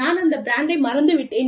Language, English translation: Tamil, I have forgot the brand